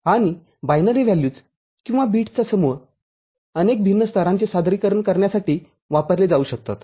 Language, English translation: Marathi, And a group of binary values or bits can be used to represent many different discreet levels